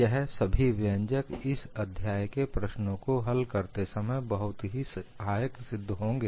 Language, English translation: Hindi, All these expressions will come in handy, when you want to solve problems in this chapter